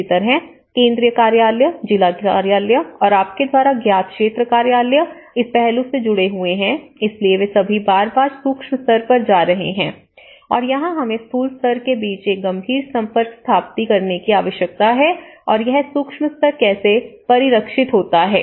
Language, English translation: Hindi, Similarly, central office, district office and the field office you know, so they are all going in a macro level to the micro level and again and here, we need to establish a serious contact between a macro level and how it is also reflected in the micro level